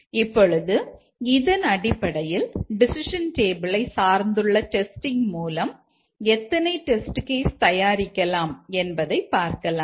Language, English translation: Tamil, Now, based on this how many test cases can be designed on a decision table based testing